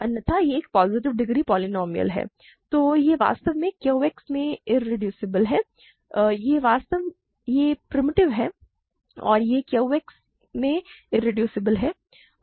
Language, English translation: Hindi, Otherwise it is a positive degree polynomial, then it is actually irreducible in Q X; it is primitive and it is irreducible in Q X